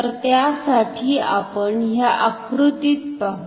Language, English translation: Marathi, So, for that let us look at this schematic here